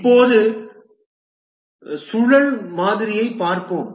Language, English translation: Tamil, Now let's look at the spiral model